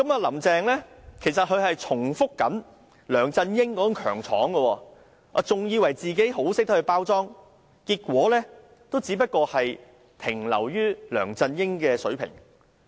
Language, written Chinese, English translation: Cantonese, "林鄭"現正重複梁振英的強闖做法，還以為自己很懂得包裝，結果還不是只能達到梁振英的水平。, Repeating his practice of gate - crashing Carrie LAM believes she is most adept at packaging . In the end she can only meet the standard achieved by LEUNG Chun - ying